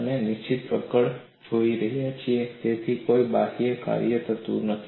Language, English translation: Gujarati, We are looking at fixed grips, so there is no external work done